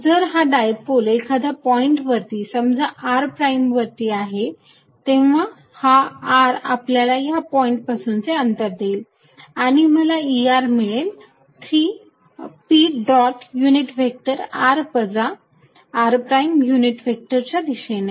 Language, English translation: Marathi, If the dipole is at let us say r prime some point r prime, then this r would represent the distance from that point and I am going to have E at r is going to be 3 p dot unit vector in the direction of r minus r prime unit vector in that direction